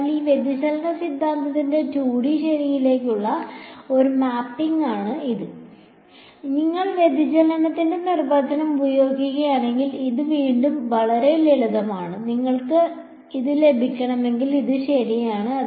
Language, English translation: Malayalam, So, it is a one to one mapping of this divergence theorem to 2D ok, and this is again very simple if we just use the definition of divergence and all you will get this, if you wanted derive it ok